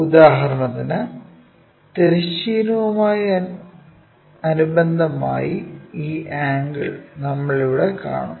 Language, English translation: Malayalam, For example, this angle with respect to horizontal we will see it here